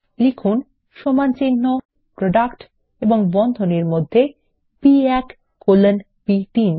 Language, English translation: Bengali, Here type is equal to PRODUCT, and within the braces, B1 colon B3